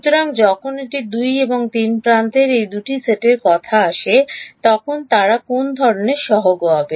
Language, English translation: Bengali, So, when it comes to these two sets of edges 2 and 3 what kind of coefficients will they be